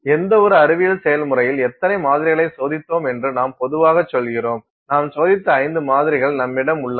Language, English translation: Tamil, In any, even in a scientific activity we normally say that how many samples have you tested, have you do you have 5 samples that you have tested